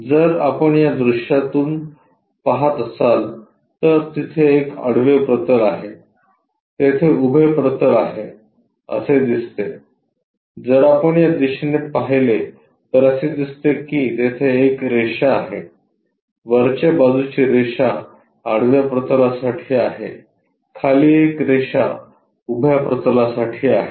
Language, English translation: Marathi, If, we are looking from this view this makes like horizontal plane there, vertical plane there, if we are looking from this direction it looks like a line top one is horizontal plane, bottom one is vertical plane